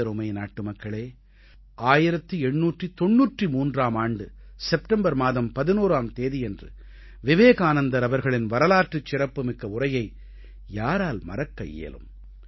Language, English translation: Tamil, My dear countrymen, who can forget the historic speech of Swami Vivekananda delivered on September 11, 1893